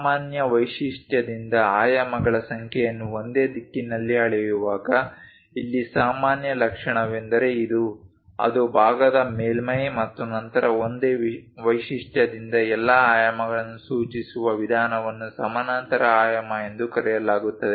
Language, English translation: Kannada, When numbers of dimensions are measured in the same direction from a common feature; here the common feature is this, that is surface of the part then method of indicating all the dimensions from the same feature is called parallel dimensioning